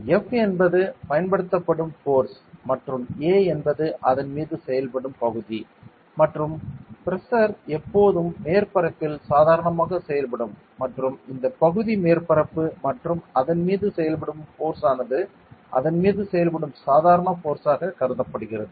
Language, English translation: Tamil, Where F is the force applied and A is the area on it is acting and pressure is always acting normal to the surface and this area is the surface area and the force acting on it is considered as the normal force acting on it ok